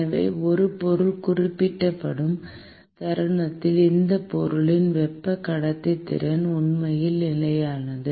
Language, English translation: Tamil, So, the moment a material is specified then the thermal conductivity of that material has actually fixed